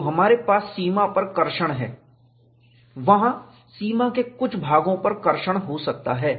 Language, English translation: Hindi, So, the boundary could be specified; whether we have traction on the boundary; there could traction on some portions of the boundary